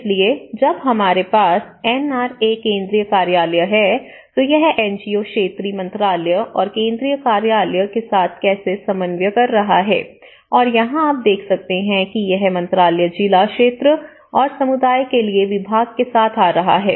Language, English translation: Hindi, So, whereas, we have the NRA Central Office, how it is coordinating with the sectoral ministry and the NGO Central Office and here, you can see that this is coming with the ministry to the department to the district and to the area and to the community